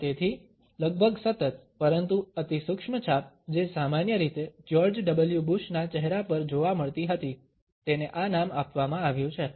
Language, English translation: Gujarati, And therefore, the almost continuous, but imperceptible print which was normally found on the face of George W Bush has been given this name